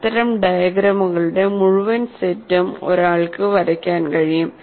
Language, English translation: Malayalam, One can draw a whole set of this kind of diagrams